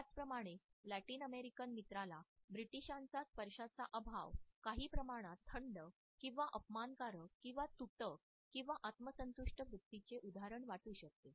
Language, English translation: Marathi, Similarly the Latin American friend may feel the absence of touch by the British as somewhat cold or unfriendly or unconcerned or an example of a smug attitude